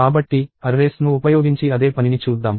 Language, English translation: Telugu, So, let us see the same thing done using arrays